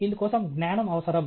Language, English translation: Telugu, For this, knowledge is required